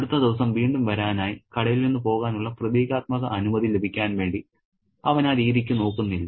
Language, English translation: Malayalam, He doesn't look that way to get, symbolic permission to leave the shop in order to come back again the next day